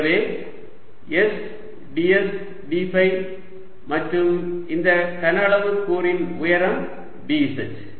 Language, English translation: Tamil, so s d s d phi and height for this volume element is going to be d z